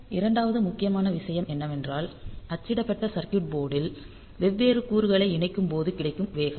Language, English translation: Tamil, Second important thing is about the speed like when you have got the different components mounted on a printed circuit board